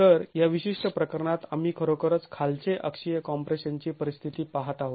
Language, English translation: Marathi, So, in this particular case we are really examining a situation of low axial compression